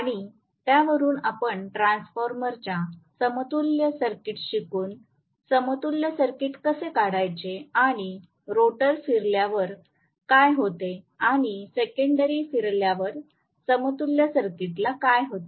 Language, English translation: Marathi, And we based on that wrote the equivalent circuit, looking at a transformer equivalent circuit originally and what happens when the rotor rotates or the secondary rotates what happens to the equivalent circuit